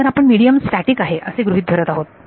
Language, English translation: Marathi, So, we are assuming that the medium is static